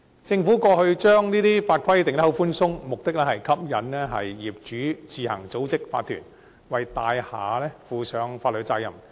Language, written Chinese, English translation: Cantonese, 政府過去將法規訂得寬鬆，目的是吸引業主自行組織法團，為大廈負上法律責任。, The Government did not enact stringent rules and regulations in the past because it wanted property owners to form OCs on their own to take up the legal responsibilities for their buildings